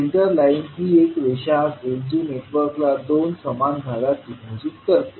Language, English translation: Marathi, Center line would be a line that can be found that divides the network into two similar halves